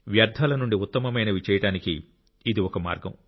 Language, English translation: Telugu, The way to make the best out of the waste